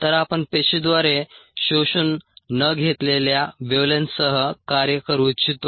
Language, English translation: Marathi, so we would like to work with wavelengths that are not absorbed by the cell